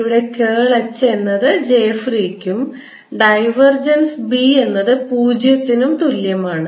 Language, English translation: Malayalam, curl of h is equal to j free and curl of b, divergence of b, is equal to zero